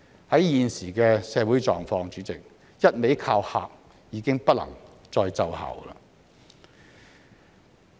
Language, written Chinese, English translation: Cantonese, 在現時的社會狀況，主席，"一味靠嚇"已經不能再奏效。, Under the current social circumstances President the tactic of intimidating the people is no longer effective